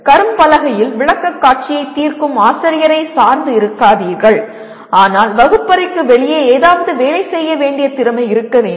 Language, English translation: Tamil, Do not depend on teacher making the presentation solving problems on the board, but he should be able to work something outside the classroom